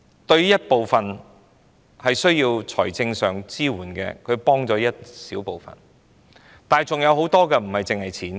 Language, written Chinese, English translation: Cantonese, 對於一部分需要財政支援的人，這確實幫了一小部分的忙，但還有很多人所需要的不單是金錢。, With regard to those people who are in need of financial support such measures can indeed offer them some help but there are still many other people who are in need of not only financial assistance